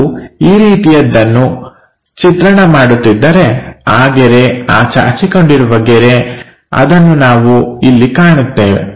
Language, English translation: Kannada, So, if we are drawing something like that is the line this extension line, we will see it here